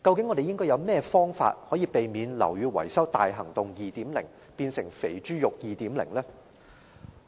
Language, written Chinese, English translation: Cantonese, 我們究竟有何辦法，可以避免"樓宇更新大行動 2.0" 變成"肥豬肉 2.0" 呢？, What exactly can we do to prevent Operation Building Bright 2.0 from turning into Greasy Pork 2.0?